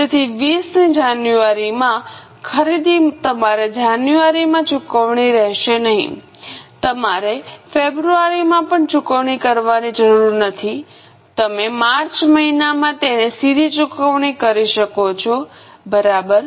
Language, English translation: Gujarati, So, January purchase of 20, you don't have to pay in January, you don't even have to pay in February, you can directly pay it in the month of March